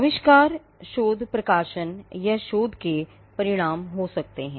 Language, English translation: Hindi, Inventions may result out of research publications, or outcome of research